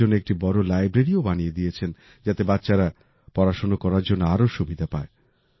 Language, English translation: Bengali, He has also built a big library, through which children are getting better facilities for education